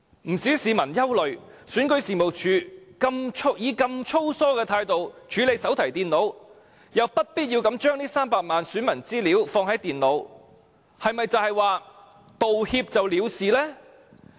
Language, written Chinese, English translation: Cantonese, 不少市民憂慮，選舉事務處以如此粗疏的態度來處理手提電腦，又不必要地把這300多萬名選民資料存放在電腦內，是否道歉便可了事呢？, Many people are worried . REO has unnecessarily stored the information of over 3 million electors in its notebook computers which shows its carelessness in handling its computers . Is making an apology sufficient to settle the matter?